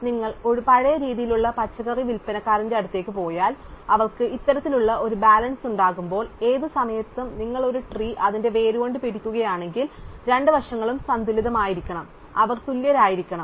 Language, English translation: Malayalam, So, if you go to an old style vegetable seller, when they will have this kind of a balance and then you want at any point if you hold up a tree by it is root, the two side should be balanced, they should be equal